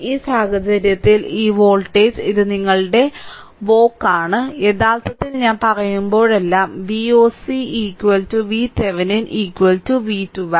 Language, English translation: Malayalam, So, in this case this voltage this is your V oc actually every time I am telling, V o c is equal to V Thevenin is equal to sometimes V 1 2 same thing right